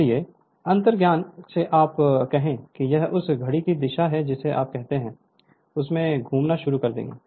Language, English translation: Hindi, So, from intuition you can say that will start rotating in your what you call in that clockwise direction right